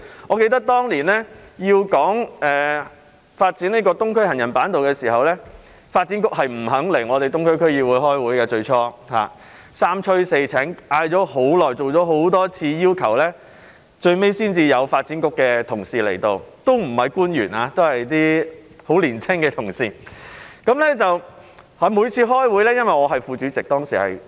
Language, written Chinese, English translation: Cantonese, 我記得當年討論發展東區走廊下的行人板道時，發展局最初不肯出席東區區議會會議，在我們三催四請，多次邀請及請求後，最終才有發展局的同事出席，不是官員而是一些十分年青的同事。, I remember that during the discussion on the development of the Boardwalk underneath the Island Eastern Corridor the Development Bureau initially refused to attend the Eastern District Council meetings . It was only after our repeated invitations and requests that representatives from the Development Bureau not senior officials but very young officers finally attended